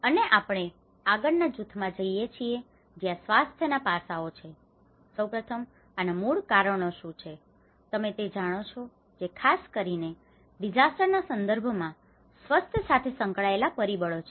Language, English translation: Gujarati, And we go to the next group where on the health aspect, first of all, what are the root causes of these you know the factors that are associated with this health especially in a disaster context